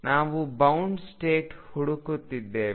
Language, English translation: Kannada, We are looking for bound states